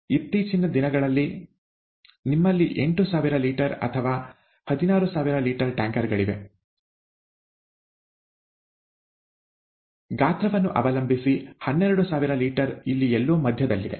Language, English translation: Kannada, Nowadays you have eight thousand litres or sixteen thousand litres, depending on the size; twelve thousand is somewhere in the middle